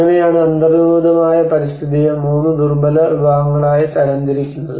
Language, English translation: Malayalam, That is how the categorization of the built environment into 3 vulnerable classes